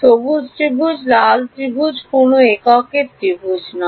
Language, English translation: Bengali, The green tri the red triangle is not a unit triangle